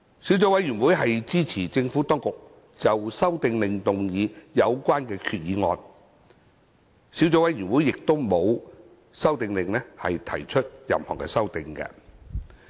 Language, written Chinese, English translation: Cantonese, 小組委員會支持政府當局就《修訂令》動議有關決議案。小組委員會沒有就《修訂令》提出任何修訂。, The Subcommittee supports the Administration to move the resolution on the Amendment Order and has not proposed any amendments to the Amendment Order